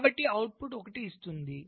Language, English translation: Telugu, so it will make the output one